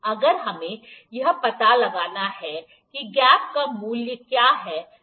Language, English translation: Hindi, If we need to find what is the value of the gap